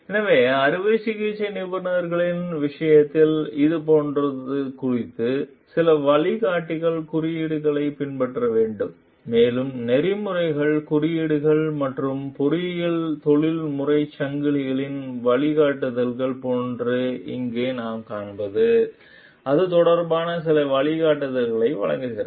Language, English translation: Tamil, So, regarding this like in the case of surgeons; so, we need to follow some guides codes and what we find over here, like ethics codes and guidelines of engineering professional societies, also provide some guidance regarding it